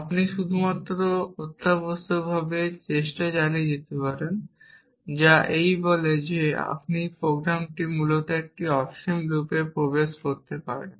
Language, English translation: Bengali, You can only keep trying essentially which falls down to saying that you are program can get in to an infinite loop essentially